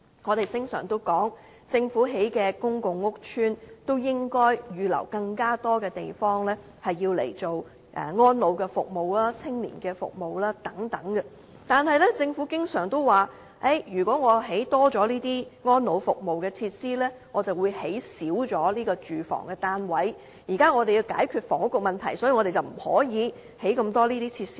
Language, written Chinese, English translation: Cantonese, 我們經常說，政府興建的公共屋邨應該預留更多地方，用來提供安老服務、青年服務等，但政府經常說，如果多興建安老服務設施，便會減少興建住屋單位，政府現時要解決房屋問題，所以不能興建這麼多設施。, We always recommend that the Government should reserve more spaces in new public housing estates for elderly care or providing services to young people and so on . However the Government always replies that more facilities for the elderly will mean less housing units therefore the Government cannot build too many of these facilities lest it will not be able to resolve the housing problem